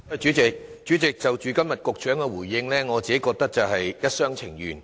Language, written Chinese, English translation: Cantonese, 主席，局長今天的答覆，我覺得是一廂情願。, President I consider the reply given by the Secretary today wishful thinking